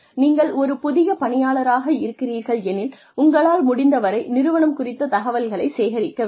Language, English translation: Tamil, If you are a new employee, collect as much information, about the organization as possible